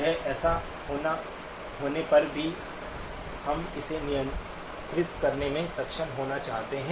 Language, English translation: Hindi, Or even if it occurs, we want to be able to control it